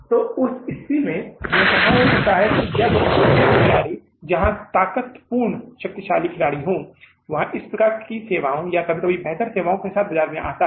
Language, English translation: Hindi, So in that case it may be possible that when the new player, very strength, powerful player comes in the market with a similar type of services or sometimes even the better services, right